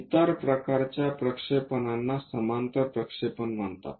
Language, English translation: Marathi, The other kind of projections are called parallel projections